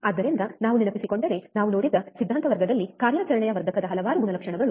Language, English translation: Kannada, So, if you remember, in the in the theory class we have seen, several characteristics of an operational amplifier